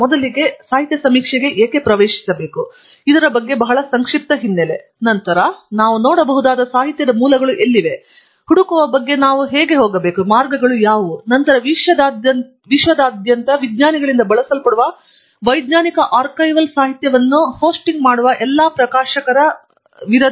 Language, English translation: Kannada, First, a very brief background on why should we get into this literature survey at all; and then, where are the sources of literature that we could look up; what are the ways by which we can go about searching; and then, who are all the publishers who host the scientific archival literature that is being used by scientists all over the world